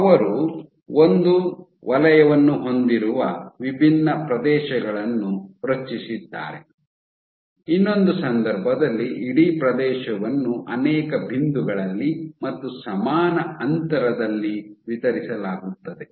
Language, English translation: Kannada, So, they did generate different areas where you have one circular eye, in other case this same area you distribute across multiple points at equal spacing